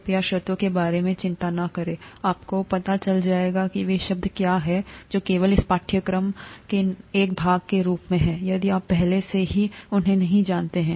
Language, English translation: Hindi, Please do not worry about the terms, you will know what those terms are only as a part of this course, if you do not already know them